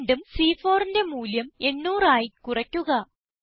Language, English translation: Malayalam, Again, lets decrease the value in cell C4 to 800